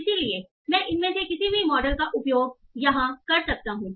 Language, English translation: Hindi, So I can use any of these models